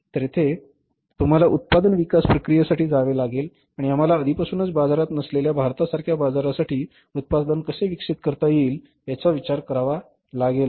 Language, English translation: Marathi, So, there you have to go for the product development process and you have to think about that how the product can be developed for a market like India which is not already there in the market if we bring this product in the market so what will happen